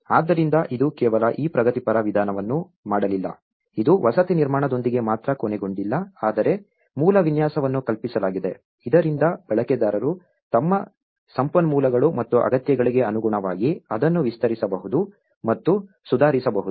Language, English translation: Kannada, So, it did not just only this progressive approach it did not ended only with construction of the dwelling but the original design was conceived so that it can be extended and improved by the users in their own time depending on their resources and needs